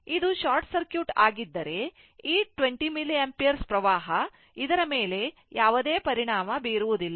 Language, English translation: Kannada, If this is short circuit this 20 milliampere current, it has no effect on this one